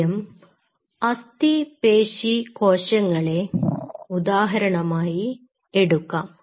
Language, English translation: Malayalam, Let us take the example of skeletal muscle first